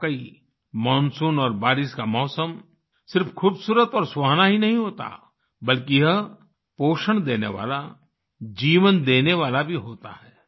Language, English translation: Hindi, Indeed, the monsoon and rainy season is not only beautiful and pleasant, but it is also nurturing, lifegiving